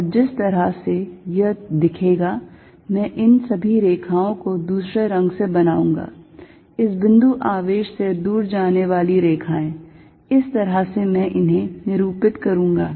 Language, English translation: Hindi, And the way it is going to look, I will draw it in different color is all these lines, three lines going away from this point charge, this is how I am going to denote it